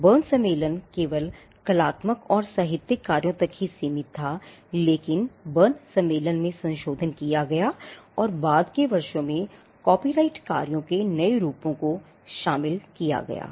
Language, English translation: Hindi, The Berne convention just limited to artistic and literary work initially, but the Berne convention was amended, and new forms of copyrighted works were included in the subsequent years